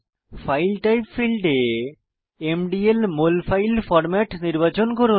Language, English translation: Bengali, In the File type field, select MDL Molfile Format